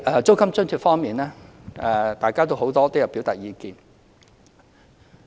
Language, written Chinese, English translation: Cantonese, 租金津貼方面，多位議員均有表達意見。, As for the rent allowance a number of Members have expressed their views